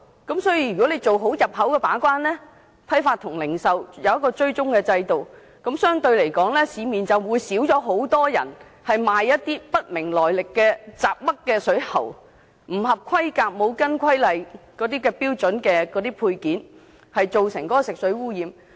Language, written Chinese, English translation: Cantonese, 政府如能做好進口把關，設立批發和零售追蹤制度，市面便相對較少人售賣品牌來歷不明的水喉，以及不合規格及標準的配件，有助減少食水污染。, If the Government can properly play its gatekeeping role on import and set up a wholesale and retail tracking system fewer members of the public will end up buying water pipes of unknown brands and non - compliant substandard fittings which will help reduce the pollution of drinking water